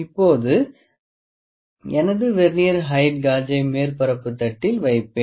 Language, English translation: Tamil, Now, I will put my Vernier height gauge on the surface plate